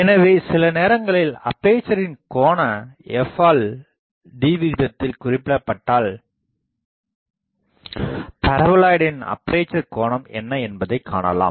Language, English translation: Tamil, So, sometimes if the angular aperture is specified f by d ratio is specified or if f by d ratio is specified, I can find what is the angular aperture of the paraboloid